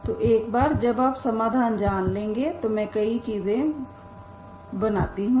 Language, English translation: Hindi, So once you know this solution here like this, now I can make many things